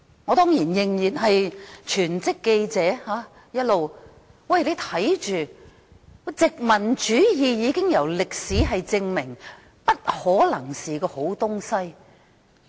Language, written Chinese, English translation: Cantonese, 我仍然一直擔任全職記者，歷史已證明，殖民主義不可能是好東西。, I still worked as a full - time journalist then . History has proved that colonialism cannot possibly be a good thing